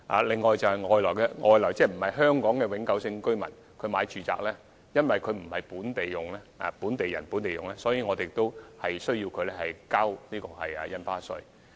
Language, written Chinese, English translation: Cantonese, 此外，對於外地個人買家，因為他們購買住宅並非"本地人本地用"，所以政府也要求他們繳付印花稅。, In addition non - local individual buyers are also required to pay extra stamp duties as they do not buy residential properties for occupation as in the case of local people